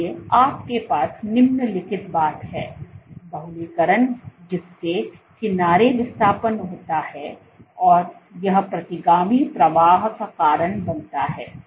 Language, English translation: Hindi, So, you have the following thing polymerization causing edge displacement and this causes retrograde flow